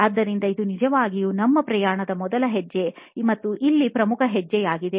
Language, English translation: Kannada, So, this really is the first step and the most important step in our journey here